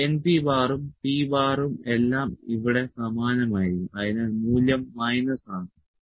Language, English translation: Malayalam, This n P and P bar would all remains same here, so the value is minus